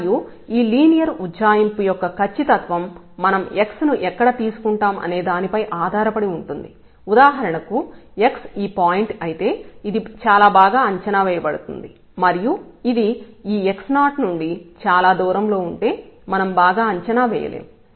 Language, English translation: Telugu, And, the accuracy of this linear approximation will depend that where we take x for example, if x is this point this is very well approximated and if it is a far point from this x naught then we are not approximating well